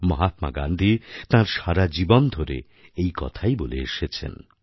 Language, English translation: Bengali, Mahatma Gandhi had advocated this wisdom at every step of his life